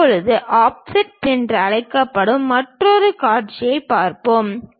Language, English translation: Tamil, Now, let us look at another view which we call offset sections